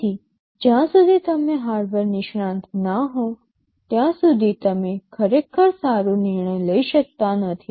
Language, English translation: Gujarati, So, unless you are a hardware expert, you really cannot take a good decision here